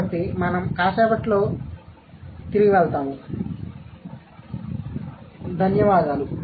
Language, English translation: Telugu, So, we will go back to it in a while